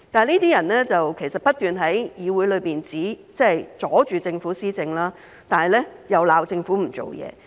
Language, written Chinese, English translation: Cantonese, 這些人不斷在議會內阻礙政府施政，但卻責罵政府不做事。, These people have been hindering policy implementation of the Government in this Council but they are criticizing the Government for not doing anything